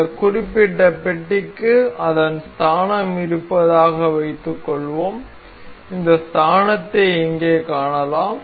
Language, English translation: Tamil, Suppose this particular block has its origin we can see this origin over here